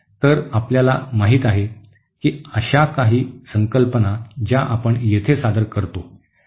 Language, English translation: Marathi, So you know so those are the few concepts that we introduce here